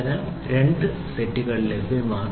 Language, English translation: Malayalam, So, 2 sets are available